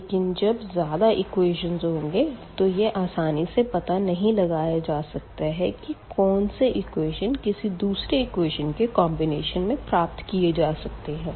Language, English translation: Hindi, But, when we have more equations and this is not always the case that we can identify that which equation is a combination of the others for example, example